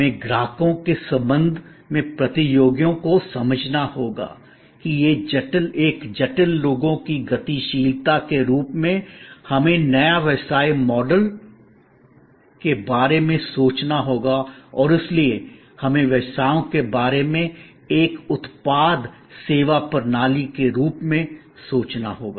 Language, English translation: Hindi, We have to understand competitors in relation to customers as a complex people dynamics we have to think about new business model’s and ultimately therefore, we have to think about businesses as a product services systems